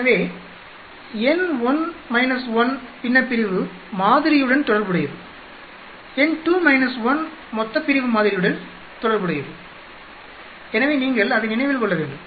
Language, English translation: Tamil, So, n1 minus relates to the numerator sample, n2 minus 1 relates to the denominator sample so you have to remember that